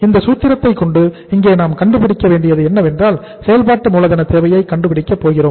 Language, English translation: Tamil, If you look at this formula uh what we have to find out here is we going to find out the working capital requirement